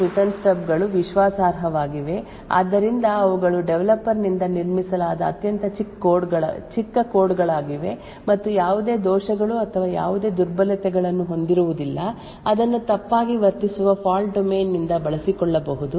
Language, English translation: Kannada, Call Stub and the Return Stubs are trusted, so they would be extremely small pieces of code built by the developer itself and have no bugs or any vulnerabilities which could be utilized by a misbehaving fault domain